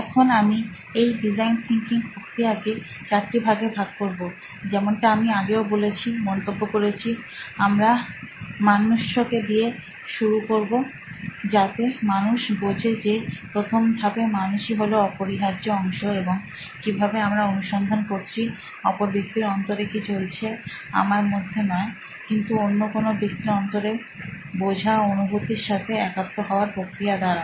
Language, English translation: Bengali, Now, how I split this design thinking process is into four steps, like I said before, like I remarked before, we start with the human, so people understanding people is part and parcel of our first step and how do I find out what is going on in another human being, not in myself, but in some other human being is through the process of empathy